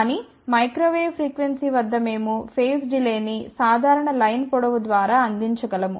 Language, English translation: Telugu, But at microwave frequency we can provide the phase delay by a simple line length